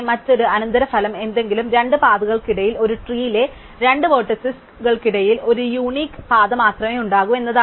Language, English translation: Malayalam, So, another consequence of all these definitions is that between any two paths, any two vertices in a tree, there can only be one unique path